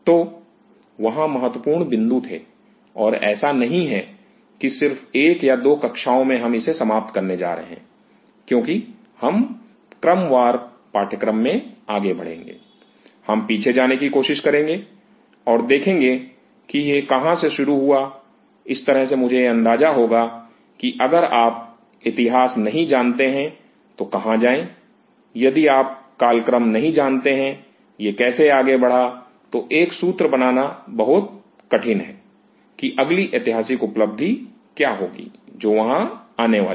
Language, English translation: Hindi, So, there were points and it is not that in just 1 or 2 classes, we are going to finish this off as we will be proceeding through the course time to time, we will try to go back and see you know where it all started that will kind of give me an idea that where to go, if you do not know the history; if you do not know the time; how it is it has been progressing it is very tough to build up a story what will be the next landmark thing which is going to come up there